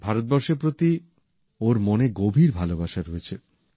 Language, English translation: Bengali, He has deep seated love for India